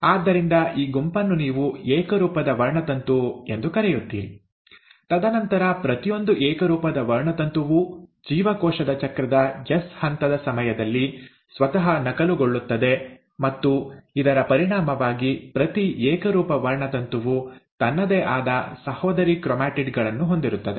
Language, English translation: Kannada, So this set is what you call as the homologous chromosome, and then each of the homologous chromosome will then duplicate itself during the S phase of the cell cycle and as a result, each homologous chromosome will have its own sister chromatids